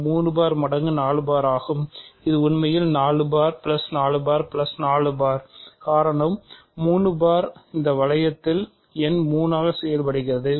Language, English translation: Tamil, It is 3 bar times 4 bar which is really 4 bar plus 4 bar plus 4 bar because, 3 bar serves as the number 3 in this ring